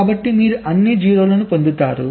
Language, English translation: Telugu, so you will get all zeros